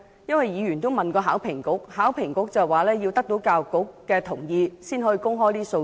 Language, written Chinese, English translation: Cantonese, 有議員曾向考評局查詢，考評局表示須取得教育局同意，才可以公開這些數字。, Some Members have asked for the figure from HKEAA but HKEAA refused to release the figure unless with the approval of the Education Bureau